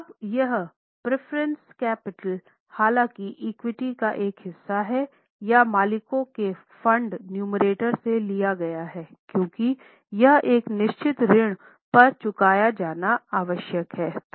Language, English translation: Hindi, Now here preference capital though is a part of equity or the owner's fund is taken in the numerator because it is required to be repaid at a certain debt